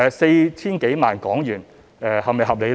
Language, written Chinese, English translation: Cantonese, 四千多萬港元是否合理呢？, Is the spending of the more than HK40 million reasonable?